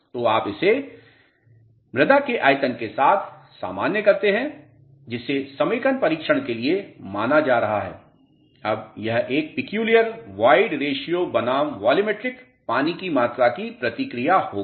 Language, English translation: Hindi, So, you normalize it with the volume of the soil which is being considered for consolidation test now this would be a typical wide ration versus volumetric water content response